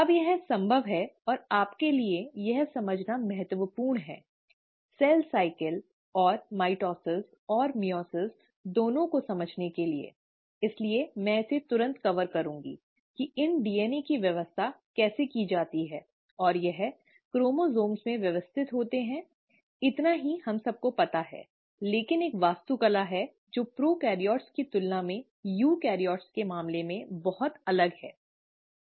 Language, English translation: Hindi, Now, this is possible and it's important for you to understand this, for understanding both, cell cycle and mitosis and meiosis, so I will cover it right away, is how are these DNA arranged, and they are arranged into chromosomes is all what we know, but there’s an architecture which is very different in case of eukaryotes than in prokaryotes